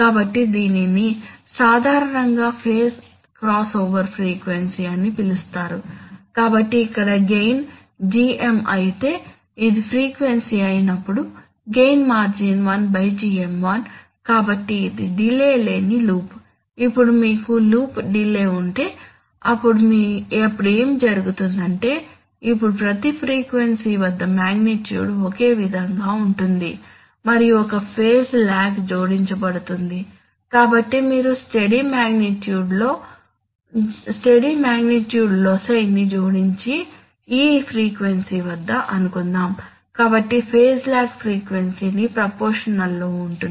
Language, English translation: Telugu, So this is generally what is called the phase crossover frequency, so and it is this frequency, this is, if the gain here is GM then the gain margin is 1 by GM1, so this is that of the loop without delay, now if you have a loop with delay then what happens, what happens is that, at every, at every frequency now and magnitude will remain same and the phase lag and there will be a phase lag added so if you add constant magnitude, loci and suppose at this frequency, so phase lag will be proportional to frequency